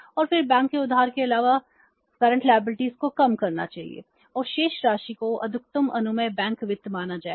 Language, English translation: Hindi, This is called as the MPBF maximum permissible bank finance